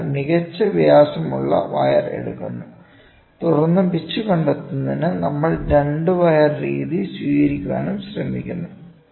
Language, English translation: Malayalam, So, the best diameter wire is taken and then we are also trying to take the 2 wire method what is the pitch